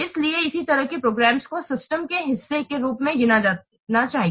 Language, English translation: Hindi, So, what programs will be counted as part of the system